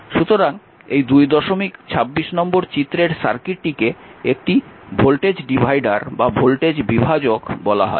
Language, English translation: Bengali, So, therefore, the therefore, this the circuit of 226 is called a voltage divider, right